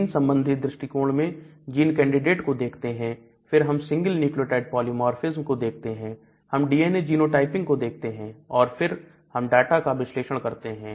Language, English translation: Hindi, Then the genetic approach look at the candidate gene, then look at a single nucleotide polymorphism and then look at the genotyping of the DNA and then you analyze the data